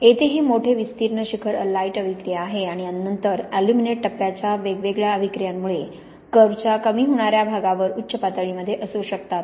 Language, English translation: Marathi, This big broad peak here is the alite reaction and then we may have peaks on the decelerating part of the curve due to the different reactions of the aluminate phase